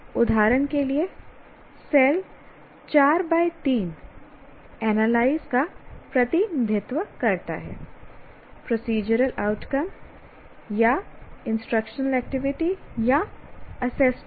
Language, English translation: Hindi, For example, the cell 4 comma 3 represents analyze and procedural outcome or instructional activity or assessment